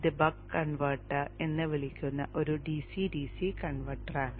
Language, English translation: Malayalam, This is a DC DC converter called the buck converter